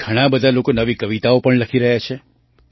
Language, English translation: Gujarati, Many people are also writing new poems